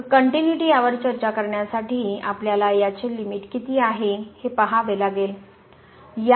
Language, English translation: Marathi, So, to discuss the continuity, we have to see what is the limit of this